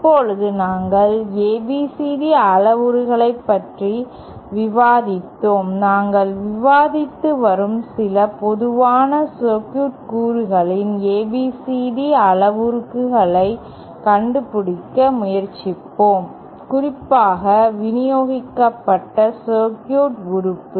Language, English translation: Tamil, Now, we were discussing about the ABCD parameters, let us try to find out the ABCD parameters of some common circuit elements that we have been discussing, especially the distributed circuit element